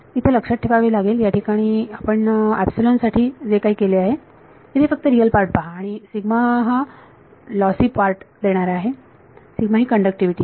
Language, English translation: Marathi, So, remember here in what we have done your epsilon here is referring only to the real part and sigma is the conductivity that is giving the loss part